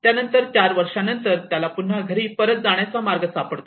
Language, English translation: Marathi, Then after 4 years he will again find his way back to home